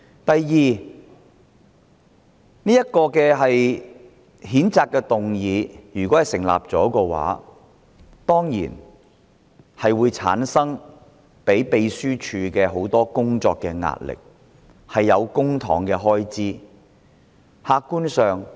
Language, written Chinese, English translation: Cantonese, 第二，這項譴責議案如果獲得通過，調查委員會得以成立，會增加秘書處的工作壓力，也涉及公帑的開支。, Second if this censure motion is passed and an investigation committee is established the workload of the Secretariat will be increased and public expenditure will be incurred